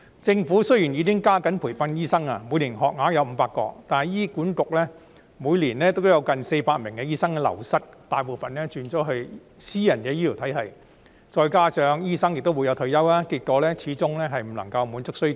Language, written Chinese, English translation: Cantonese, 政府雖然已經加緊培訓醫生，每年醫科生學額達500個，但醫院管理局每年都流失近400名醫生，大部分轉職至私營醫療體系，再加上醫生也會退休，結果醫生人手始終無法滿足醫療需求。, Although the Government has stepped up the training of doctors by offering 500 places for medical students each year the Hospital Authority HA is losing nearly 400 doctors each year most of whom have switched to the private healthcare system . This coupled with the fact that doctors will retire the supply of doctors is still unable to meet the healthcare demand